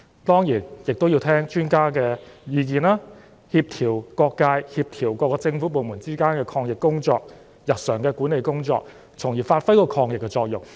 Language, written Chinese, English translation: Cantonese, 當然，政府亦要聆聽專家的意見，協調各界及各個政府部門之間的抗疫工作及日常的管理工作，從而發揮抗疫的作用。, Certainly the Government also has to listen to the views of the experts coordinate the anti - epidemic efforts of various government departments and carry out daily management work with a view to performing its role in combatting the epidemic